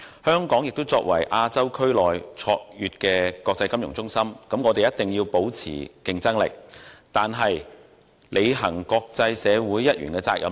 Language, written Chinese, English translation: Cantonese, 香港作為亞洲區內卓越的國際金融中心，必須保持競爭力，但同時亦有必要履行身為國際社會一員的責任。, As a premier international financial centre in Asia Hong Kong must maintain its competitiveness but at the same time it is also imperative for it to fulfil its obligations as a member of the international community . This time in introducing the Inland Revenue Amendment No